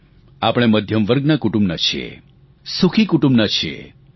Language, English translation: Gujarati, We all belong to the middle class and happy comfortable families